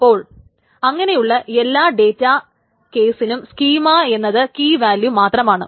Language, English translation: Malayalam, So, for all such databases, the schema is just key and value